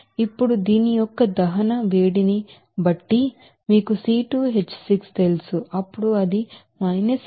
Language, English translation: Telugu, Now, accordingly heat of combustion of this you know C2H6 then it will be 1558